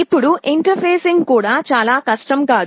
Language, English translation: Telugu, Now, interfacing is also not quite difficult